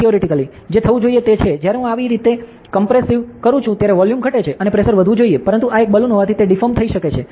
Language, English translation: Gujarati, So, theoretically what should happen is, when I compress this, the volume decreases and the pressure should increase; but since this is a balloon it can deform ok, it can deform